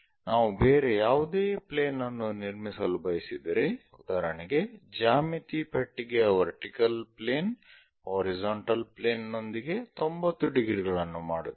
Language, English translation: Kannada, If we want to construct any other plane, for example, let us pick the geometry box vertical plane is 90 degrees with the horizontal